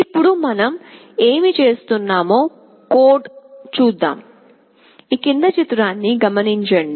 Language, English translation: Telugu, Now let us see the code, what we are doing